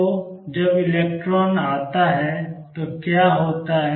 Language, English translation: Hindi, So, what happens when electron comes in